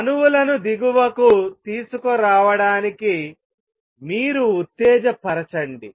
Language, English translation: Telugu, You stimulate you got the atoms to come down to lower